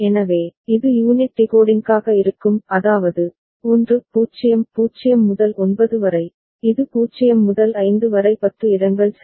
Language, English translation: Tamil, So, this will be the unit decoding; that means, 1 0 0 to 9 and then, this is 0 to 5 the tens place ok